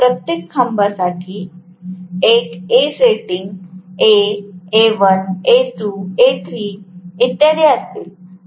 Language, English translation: Marathi, Because for each of the pole there will be one A sitting, A, A, A1, A2 and so on